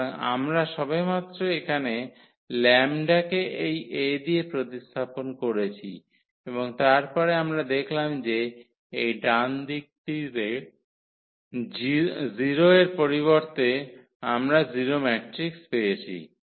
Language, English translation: Bengali, So, we have just replaced here lambda by this A and then we have seen that this right side instead of the 0 we got the 0 matrix